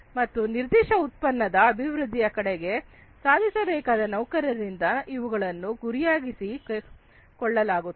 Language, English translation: Kannada, And these are targeted by the employees to be achieved, towards the development of a particular product